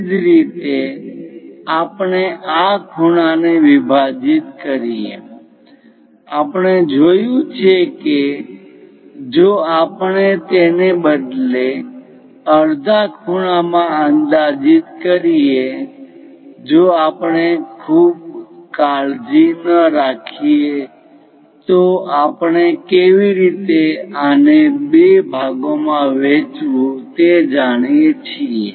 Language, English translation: Gujarati, Similarly, divide this angle we have seen if we instead of approximating into half angles if we are not very careful about that we know how to divide this into two parts